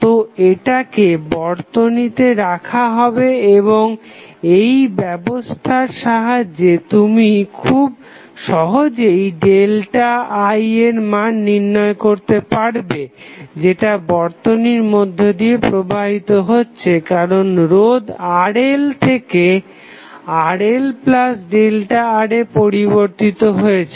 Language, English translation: Bengali, So, that is kept in the circuit and with this the arraignment you can easily find out the value of delta I which is flowing into the circuit because of the value of the resistance changes from Rl to delta R, Rl to Rl plus delta R